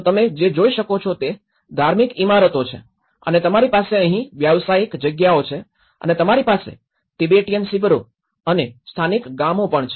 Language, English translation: Gujarati, So what you can see is the religious buildings and when you have the commercial spaces here and you have the Tibetan camps and the local villages